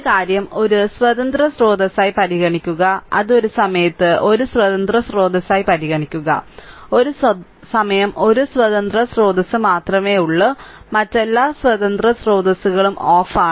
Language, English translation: Malayalam, One thing is you consider one independent source that is your you consider one independent source at a time right one only one independent source at a time and all other independent sources are turned off right